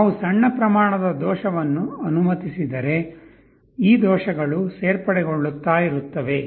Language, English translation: Kannada, If we allow for a small amount of error, this errors will go on adding